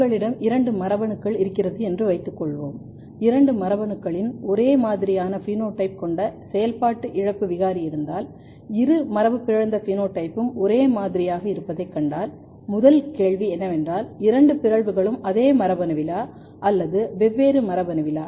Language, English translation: Tamil, The first thing is that let us assume that if you have two genes and if you have mutant loss of function mutant of both the genes and if you find same phenotype, if you see that in both the mutants phenotype is same then there is a question is the first thing is that is the both mutants in the same gene or in the different gene